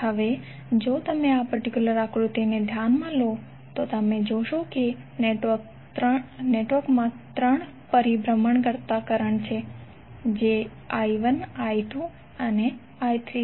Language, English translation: Gujarati, Now if you consider this particular figure, there you will see that network has 3 circulating currents that is I1, I2, and I3